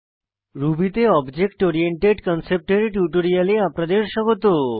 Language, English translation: Bengali, Welcome to this spoken tutorial on Object Oriented Concept in Ruby